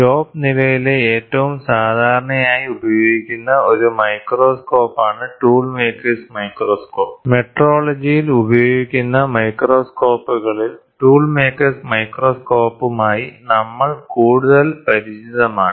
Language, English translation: Malayalam, The most commonly used one microscope in the shop floor is Tool Maker’s Microscope, among the microscope used in metrology, we are most familiar with the tool maker’s microscope